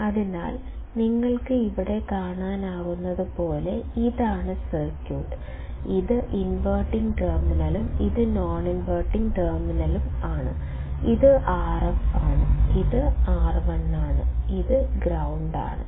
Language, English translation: Malayalam, So, this is the circuit as you can see here; inverting, non inverting; this is R f, this is R 1, this is current, ground